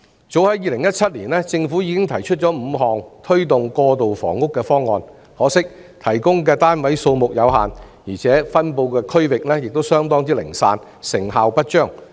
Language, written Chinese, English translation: Cantonese, 早在2017年，政府已經提出5項推動過渡性房屋的方案，可惜提供的單位數目有限，而且分布區域亦相當零散，成效不彰。, As early as in 2017 the Government had put forth five proposals to promote transitional housing . It was a pity that the number of flats provided was limited while their distributions were quite scattered the effect was insignificant